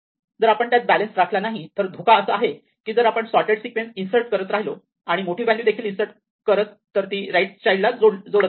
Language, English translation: Marathi, If we do not balance it then the danger is that if we keep inserting and sorted sequence then we keep inserting larger values it keeps adding on the right child